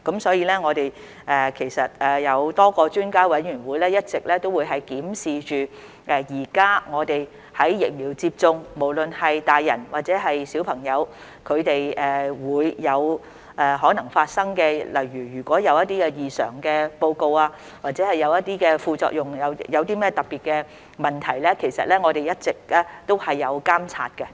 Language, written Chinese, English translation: Cantonese, 所以，我們其實是有多個專家委員會一直檢視現時在疫苗接種時，不論是大人或小朋友可能發生的情況，例如出現一些異常報告或副作用或一些特別問題時，我們一直也有監察。, In this connection actually a number of expert committees have consistently reviewed the situations that may possibly arise in adults or children after vaccination such as reports on adverse events or side effects or other specific issues . We have been keeping the situation under watch